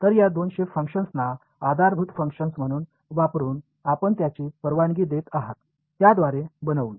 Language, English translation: Marathi, So, by constructing by using these two shape functions as your basis functions what you are allowing